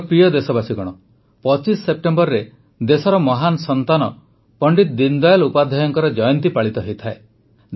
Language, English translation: Odia, the 25th of September is the birth anniversary of a great son of the country, Pandit Deen Dayal Upadhyay ji